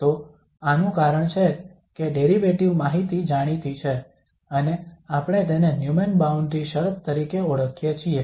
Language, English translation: Gujarati, So this is because the derivative information is known we call this as Neumann boundary condition